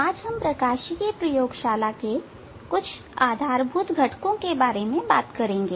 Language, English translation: Hindi, Today we will discuss about some basic components in optics lab